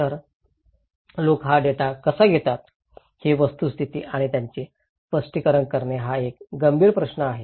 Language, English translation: Marathi, So, how people take this data, this fact and interpret them is a critical question